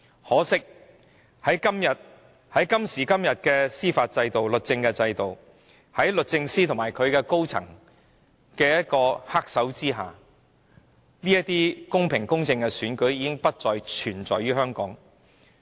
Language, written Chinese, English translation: Cantonese, 可惜，在今時今日的司法制度下，在律政司司長及律政司高層人員的黑手之下，香港公平公正的選舉已不復存在。, Regrettably under the existing judicial system and with the manipulation of the black hands of the Secretary for Justice and senior officials of the Department of Justice elections conducted in Hong Kong are no longer fair and impartial